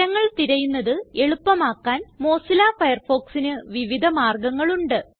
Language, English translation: Malayalam, But there is an easier way to do the same thing with Mozilla Firefox